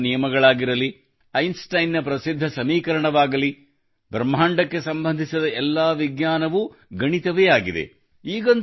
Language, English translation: Kannada, Be it Newton's laws, Einstein's famous equation, all the science related to the universe is mathematics